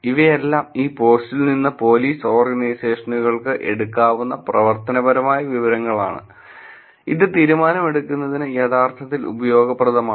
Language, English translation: Malayalam, So, these are actionable information that police organizations can take from the post and that is actually useful for decision making